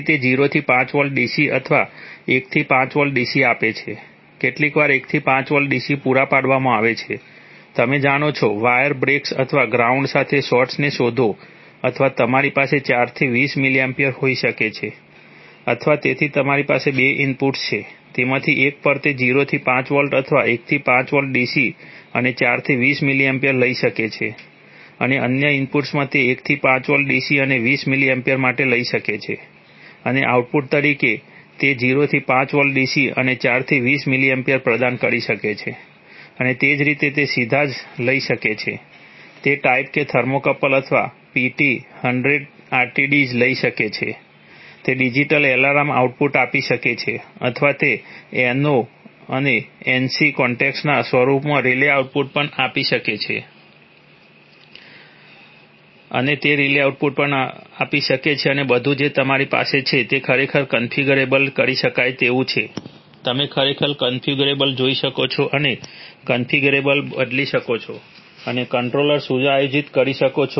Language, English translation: Gujarati, So it provides 0 to 5 volt dc or 1 to 5 volt dc, 1 to 5 volt dc sometimes provided to, you know, detect wire breaks or shorts to ground or you could have 4 to 20 mA or, so you have two inputs, on one of them it can take 0 to 5 volt or 1 to 5 volt dc and 4 to 20 mA and in the, in the, in the other input it can take 1 to 5 volt dc and for 20 mA and as output it can provide 0 to 5 volt dc and 4 TO 20 mA and similarly it can directly take, a type k thermocouple or PT 100 RTDs, it can take, it can give digital alarm outputs or it can also give relay outputs in the form of N/O and N/C contacts and all these that you have are actually configurable, you can actually view the configuration, you can change the configuration and set the controller